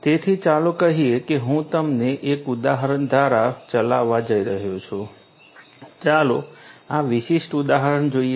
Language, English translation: Gujarati, So, let us say I am going to run you through an example, let us look at this particular example